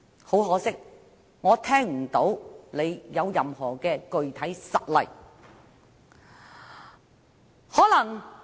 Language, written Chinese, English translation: Cantonese, 很可惜，我聽不到他提出任何具體實例。, Unfortunately I have not heard any specific examples from Mr WAN